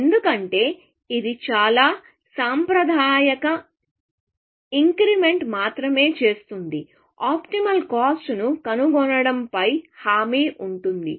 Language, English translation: Telugu, Because that is only making very conservative increments; it is guaranteed to find the optimal cost